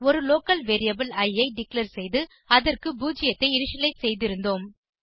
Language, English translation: Tamil, We had declared a local variable i and initialized it to 0